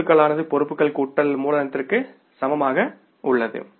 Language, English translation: Tamil, Assets are equal to liabilities plus capital